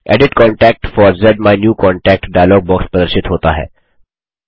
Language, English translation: Hindi, The Edit Contact For ZMyNewContact dialog box appears